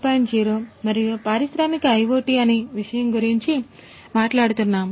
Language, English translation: Telugu, 0 and industrial IoT as the topic